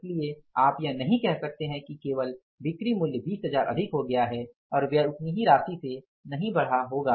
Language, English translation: Hindi, So, you can't say that only sales value has gone up by 20,000 and expenses will not go up by the same amount